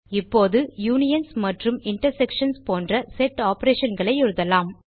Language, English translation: Tamil, Now we can write set operations such as unions and intersections